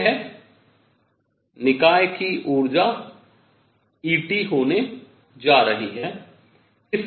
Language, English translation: Hindi, This is going to be the energy of the system E T